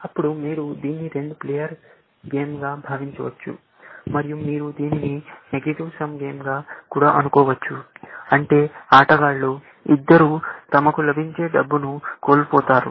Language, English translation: Telugu, Then, you can think of it as a two player game, and you can also think of it as a negative sum game, which means that both the players as going to lose out on the money that they get, essentially